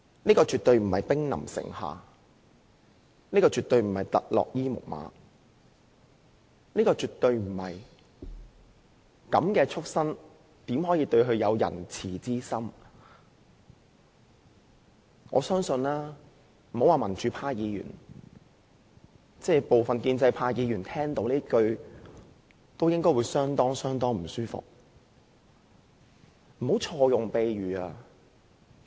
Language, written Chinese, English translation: Cantonese, 這絕對不是兵臨城下，不是特洛伊木馬，亦不是"這樣的畜牲怎可以仁慈之心對待"——別說是民主派議員，我相信部分建制派議員聽到這句話，也會感到相當不舒服。, Definitely we are not in a situation where the city is surrounded by enemies nor is this a Trojan horse . This is not a situation that warrants the remark How can we treat a beast like that with kind - heartedness―not to mention that Members from the pro - democracy camp would find this disturbing I believe some Members from the pro - establishment camp also feel uncomfortable upon hearing such remarks